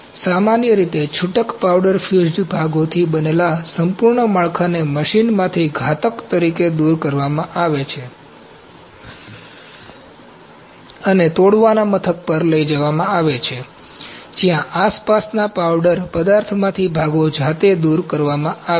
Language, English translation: Gujarati, So, typically entire build made up of loose powder fused parts is removed from the machine as the block and transported to a break out station where the parts are removed manually from the surrounding powdered material